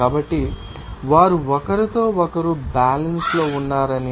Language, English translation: Telugu, So, that they are in equilibrium with each other